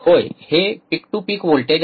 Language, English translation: Marathi, Yeah, yes, peak to peak voltage